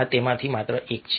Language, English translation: Gujarati, there is a just one of them